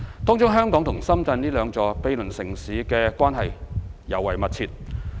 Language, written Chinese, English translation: Cantonese, 當中香港和深圳這兩座毗鄰城市的關係尤為密切。, In this connection Hong Kong and Shenzhen two cities adjacent to each other have a particularly close relationship